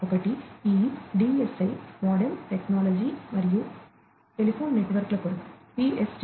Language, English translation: Telugu, So, one is this DSL, MODEM Technology and the PSTN for telephone networks, right